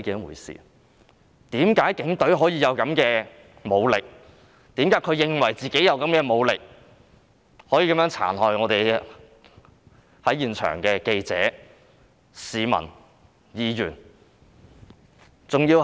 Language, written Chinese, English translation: Cantonese, 為何他們認為自己配有這種武力，便可以殘害在現場的記者、市民、議員？, Why do they consider that they can harm journalists public and Members at the scene because they are equipped with such weapons?